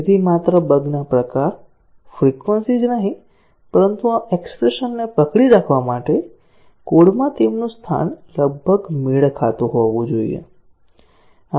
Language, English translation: Gujarati, So, not only the type of the bugs, the frequency, but their location in the code should approximately match, for this expression to hold